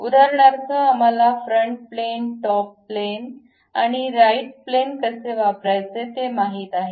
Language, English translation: Marathi, For example, we know how to use front plane, top plane and right plane